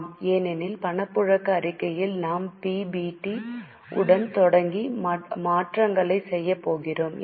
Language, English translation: Tamil, Yes, because in cash flow statement we are going to start with PBT and making the adjustments